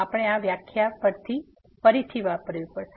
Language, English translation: Gujarati, We have to use again this definition